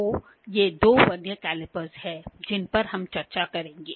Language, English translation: Hindi, So, these are the two Vernier calipers that we will discuss